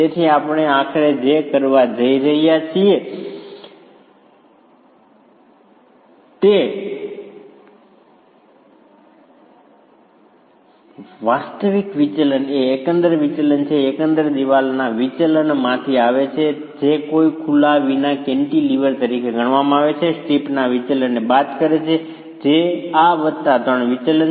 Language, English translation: Gujarati, So, what we are finally going to be doing is the actual deflection is a gross deflection which is coming from the deflection of the overall wall considered as a cantilever without any openings minus the deflection of the strip which is this plus the three deflections of the piers